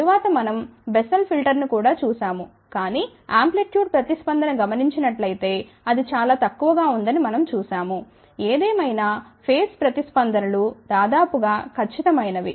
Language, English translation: Telugu, Then, we had also looked at the Bessel filter, but we saw that the response is very very poor as for as the amplitude response is concern ; however, phase responses nearly perfect